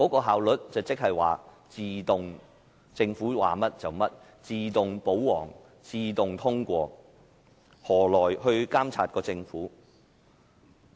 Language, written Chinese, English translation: Cantonese, 效率即是政府說甚麼便做甚麼，自動"保皇"、自動通過議案，這樣何來監察政府？, Efficiency means completion of whatever the Government says auto - pro - Government and auto - passage of motions . How can the Government be monitored in this way?